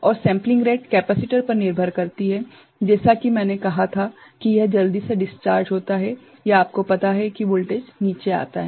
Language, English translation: Hindi, And, the sampling rate depends on capacitor, how as I said quickly it discharges or you know the voltage comes down